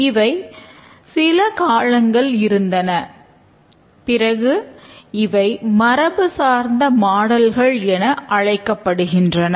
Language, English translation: Tamil, These have existed for quite some time and we will call this as the traditional models